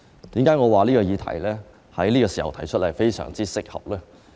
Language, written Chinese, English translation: Cantonese, 為何我說在此時提出此項議案非常適合呢？, Why would I say that it is the right time to propose this motion?